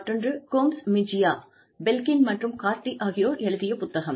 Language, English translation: Tamil, And, the other by Gomez Mejia, Belkin, and Cardy